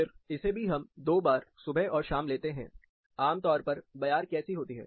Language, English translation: Hindi, Again we take two times, morning and evening, typically how the breeze is